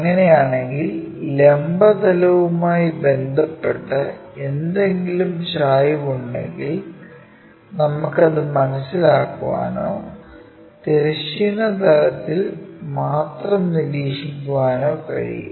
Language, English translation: Malayalam, If that is the case any inclination with respect to vertical plane we can perceive it only or observe it only in the horizontal plane